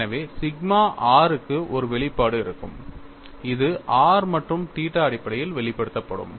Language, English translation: Tamil, So, I will have expression for sigma r, which would be expressed in terms of r and theta; that is a way we have always been looking at